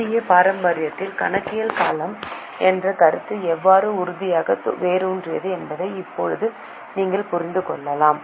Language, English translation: Tamil, Now you can here understand how the concept of accounting period is very firmly rooted in Indian tradition